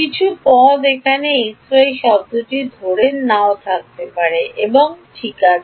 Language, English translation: Bengali, Some terms may not be there like x y term may not be there and so on ok